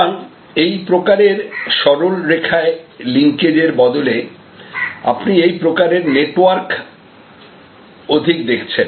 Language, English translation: Bengali, So, in a way instead of this kind of linear linkages by you are looking more and more at this kind of networks